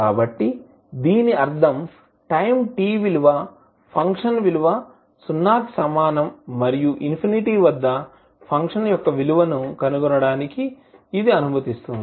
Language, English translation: Telugu, So that means this allow us to find the value of function at time t is equal to 0 and the value of function at infinity